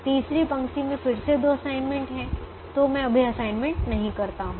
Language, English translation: Hindi, the third row again has two assignments, so i don't make an assignment right now